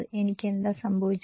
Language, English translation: Malayalam, What, will it happen to me